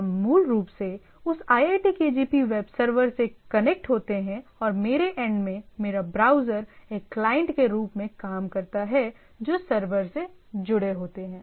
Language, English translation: Hindi, We basically connect to that iitkgp web server and my browser at my end acts as a client, client to the things which is connect to the server